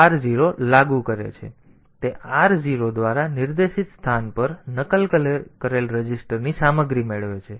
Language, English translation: Gujarati, Otherwise, it implements r 0, so, it gets the content of a register copied onto the location pointed to by r 0